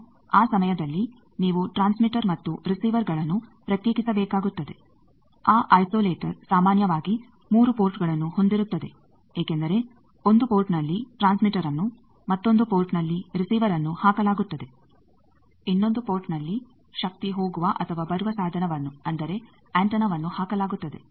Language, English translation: Kannada, Now that time you need to isolate the transmitter and receiver that isolator is generally 3 port because in one of the port the transmitter is put another port receiver is put, another the device through which power goes or comes that is antenna that is put